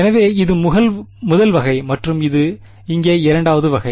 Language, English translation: Tamil, So, this guy is the first kind and this guy is the second kind over here ok